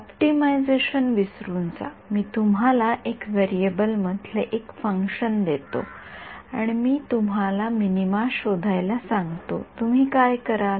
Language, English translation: Marathi, Forget optimization supposing, I give you a function in 1 variable and I ask you find the minima of it what will you do